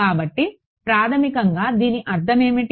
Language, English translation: Telugu, So, what is that basically mean